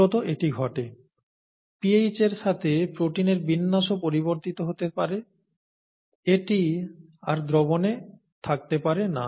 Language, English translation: Bengali, And that is essentially what happens, protein conformation may also change with pH, and it can no longer be in solution